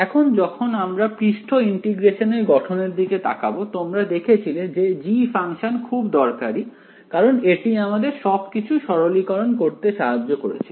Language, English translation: Bengali, Now when we looked at the surface integral formulation you already saw that knowing that function g was very useful because it helped us to simplify everything else right